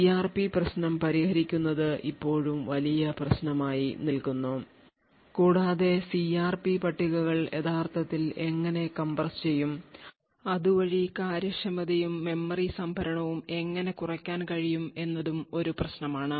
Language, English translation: Malayalam, There is still a huge problem of solving the CRP issue and how the CRP tables could be actually compressed so that the efficiency and the memory storage can be reduced